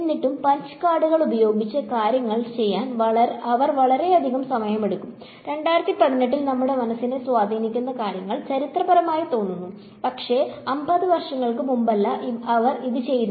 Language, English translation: Malayalam, Still it used to take lot of time they use to do things with punch cards and things which do our minds in 2018 seems pretty historic, but it is not this is 50 years ago that they were doing these things